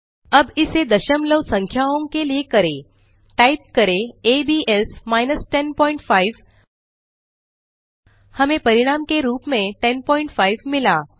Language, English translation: Hindi, Now lets try it for decimal numbers lets try abs( 10.5), we got 10.5 as the result